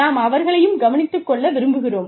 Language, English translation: Tamil, But, we also want to take care of them